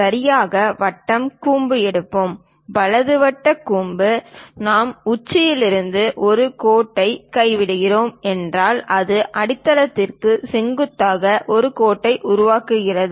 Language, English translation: Tamil, Let us take a right circular cone; right circular cone, if we are dropping from apex a line, it makes perpendicular line to the base